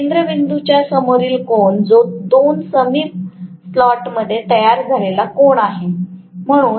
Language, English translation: Marathi, That is the angle subtended at the centre by the 2 adjacent slots